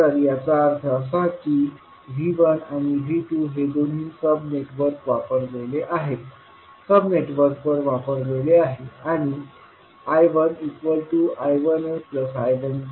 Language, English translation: Marathi, So that means that V 1 and V 2 is applied to both of the sub networks and I 1 is nothing but I 1a plus I 1b